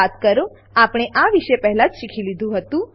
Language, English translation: Gujarati, Recall, we had learnt about this earlier